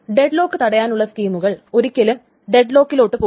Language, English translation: Malayalam, So deadlock prevention schemes will never go into deadlock